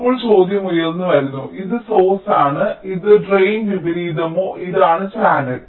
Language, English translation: Malayalam, now the question arises: this is source, this is drain, or the reverse, and this is the channel